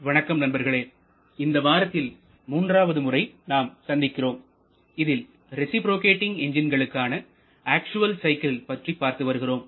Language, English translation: Tamil, Morning friends, so we are meeting for the third time this week where we are talking about the real or actual cycles for reciprocating engines